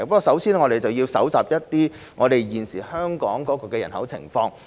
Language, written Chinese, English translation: Cantonese, 首先，我們要搜集有關香港人口的情況。, First we need to collect information on the population of Hong Kong